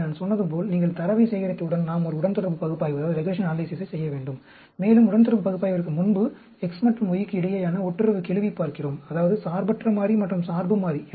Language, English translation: Tamil, So, as I said, once you collect the data, we need to perform a regression analysis, and before the regression analysis, we actually look at the correlation coefficient between X and the Y; that means, the independent variable and the dependent variable